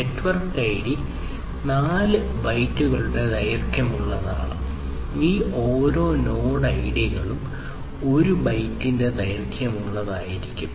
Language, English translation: Malayalam, The network ID is of length 4 bytes and node ID each of these node IDs will have a length of 1 byte